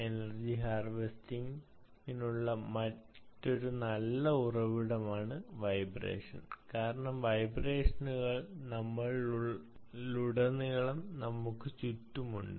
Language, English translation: Malayalam, vibration is another potentially good source for ah energy harvesting, because vibrations are all over us, all around us